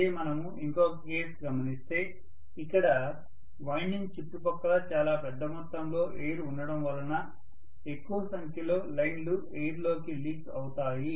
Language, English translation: Telugu, Whereas, in the other case because I have some amount of, large amount of air surrounding the winding I may have more number of lines leaking into the air